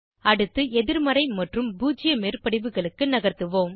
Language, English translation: Tamil, Next, we will move to negative and zero overlaps